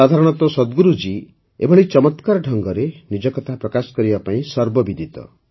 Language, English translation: Odia, Generally, Sadhguru ji is known for presenting his views in such a remarkable way